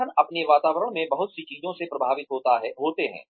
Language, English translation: Hindi, The organizations are influenced, by a lot of things, in their environments